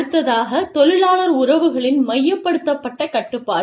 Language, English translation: Tamil, Centralized control of labor relations, is another one